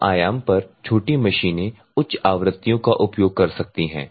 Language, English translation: Hindi, The smaller machines at lower amplitude can cause the higher frequencies